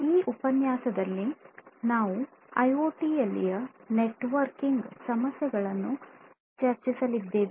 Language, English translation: Kannada, In this lecture, we are going to look at the networking issues in IoT